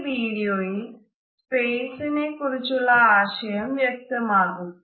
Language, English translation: Malayalam, In this video, our idea of the personal zone or personal space also becomes clear